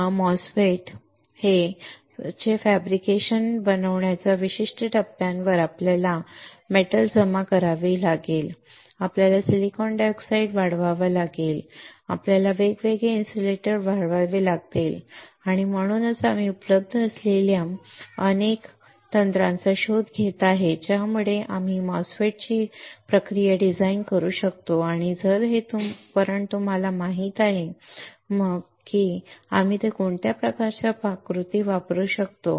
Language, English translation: Marathi, Because at certain point in fabrication fabricating MOSFET we will we have to deposit metal we have to grow silicon dioxide we have to grow different insulators and that is why we are looking at several techniques that are available that we can design the process for MOSFET and if you know this equipment then we know what kind of recipes we can use it alright